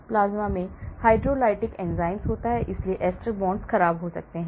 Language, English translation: Hindi, plasma contains hydrolytic enzyme, so ester bonds can get degraded